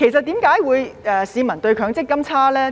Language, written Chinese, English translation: Cantonese, 主席，為何市民對強積金印象差呢？, President why do people have a bad impression of MPF?